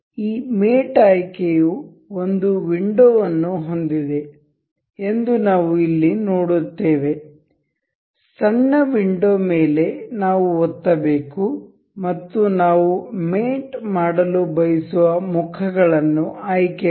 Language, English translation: Kannada, We will see here this mate selections has a window, small window we have to click on that and select the faces we want to do we want to mate